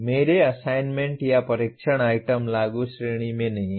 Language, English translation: Hindi, My assignments or test items are not in the Apply category